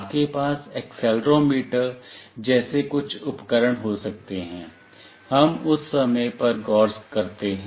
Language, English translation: Hindi, You can have some device like accelerometer, we look into that in course of time